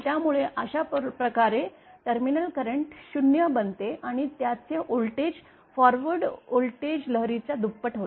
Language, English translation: Marathi, So, in that thus the terminal current becomes 0 and its voltage becomes equal to twice the forward voltage wave